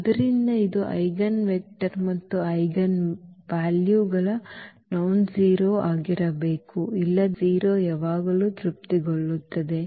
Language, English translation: Kannada, So, this is the eigenvector and this has to be always nonzero otherwise, the 0 will be satisfied always